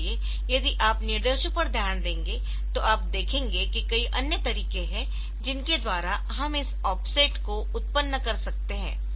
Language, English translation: Hindi, So, you will be look into the instructions will see that there are many other ways by which we can generate this offsets